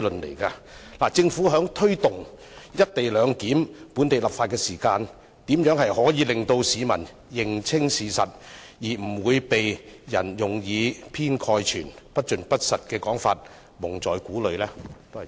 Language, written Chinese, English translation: Cantonese, 因此，政府在推動有關"一地兩檢"的本地立法工作時，如何能令市民認清事實，以免被人利用這些以偏概全、不盡不實的說法蒙在鼓裏？, Therefore when forging ahead with the enactment of local legislation to implement the co - location arrangement how will the Government present the facts to members of the public so that they will not be kept in the dark by people who make such sweeping statements and untruthful remarks?